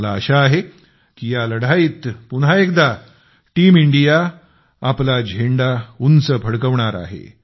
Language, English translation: Marathi, I hope that once again Team India will keep the flag flying high in this fight